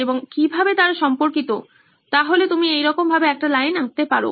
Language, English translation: Bengali, And how are they related, so you can draw a line like that